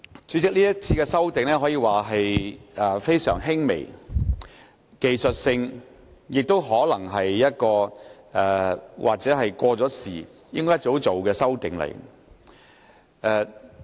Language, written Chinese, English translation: Cantonese, 主席，這次的修訂可說是非常輕微及技術性，亦可能是早已應該作出的修訂。, President it can be said that the current amendments are very minor and technical in nature and such amendments should have been made long ago